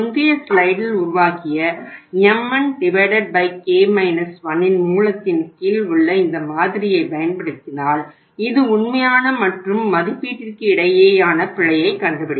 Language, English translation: Tamil, This model which we have worked out in the previous slide here that is under root mn by k minus 1 if you use this model which will capture the error in in the actual between the actual and the estimated